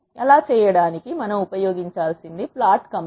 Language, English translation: Telugu, To do that what we need to use, is plot command